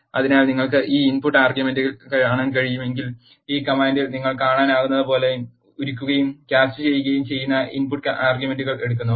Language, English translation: Malayalam, So, if you can see these input arguments, it takes the input arguments of both melt and cast as you can see in this command here